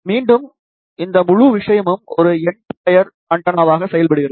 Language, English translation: Tamil, Again, this whole thing acts as a end fire antenna